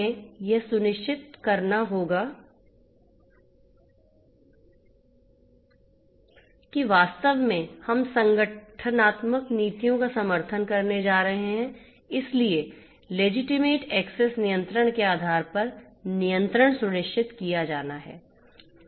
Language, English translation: Hindi, We have to ensure that legitimate access control based on what actually the organizational policies are going to support so legitimate access control is has to be ensured